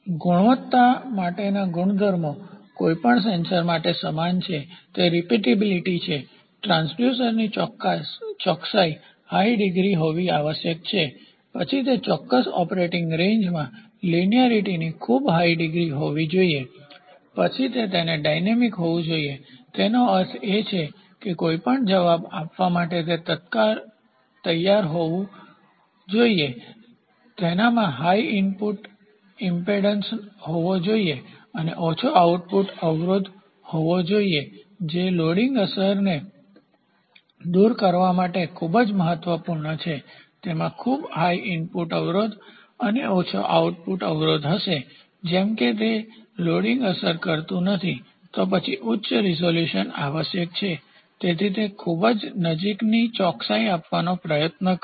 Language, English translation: Gujarati, The quality attributes for transducer are like for any sensor, it is repeatability the transducer must have a high degree of accuracy then linearity it should have very high degree of linearity in the specific operating range, then it has to be dynamic it to; that means, to say any response, it has to take instantaneously, it the impedance it should have a high input impedance and the low output impedance for loading effect elimination this part is also very important, it would have very high input impedance and low output impedance such that, it does not take the loading effect, then high resolutions are required so, that it tries to give very close accuracy